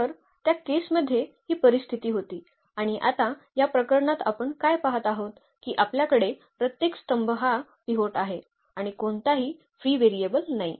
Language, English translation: Marathi, So, in that case this was a situation and what we observe now for this case that we have the every column has a pivot and there is no free variable